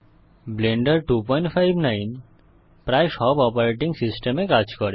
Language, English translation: Bengali, Blender 2.59 works on nearly all operating systems